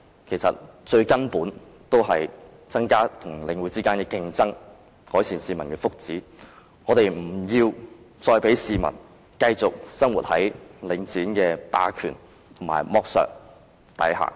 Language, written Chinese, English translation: Cantonese, 其實，最根本的做法是增加與領展的競爭，改善市民的福祉，我們不要再讓市民繼續生活在領展的霸權和剝削下。, Actually the most fundamental approach is to introduce more competition with Link REIT and improve the well - being of the people . We should not let members of the public continue to live under Link REITs hegemony and exploitation